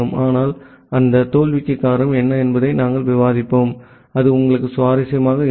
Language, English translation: Tamil, But what is the reason behind that failure we will discuss that, so that would be interesting for you